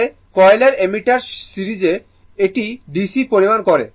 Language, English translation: Bengali, Actually, moving coil ammeter, it measures DC right